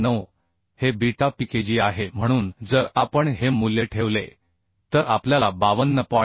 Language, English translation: Marathi, 9 this is the beta Pkg So if we put this value we will find out 52